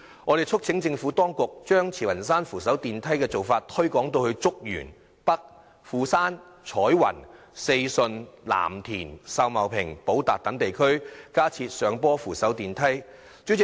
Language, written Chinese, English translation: Cantonese, 我們促請政府當局將慈雲山扶手電梯的做法推廣至竹園北、富山、彩雲、四順、藍田、秀茂坪及寶達等地區，在區內加設上坡扶手電梯。, We urge the Administration to promote the practice of building the Pedestrian Link at Tsz Wan Shan to other districts such as Chuk Yuen North Fu Shan Choi Wan Sze Shun Lam Tin Sau Mau Ping and Po Tak to install hillside escalators there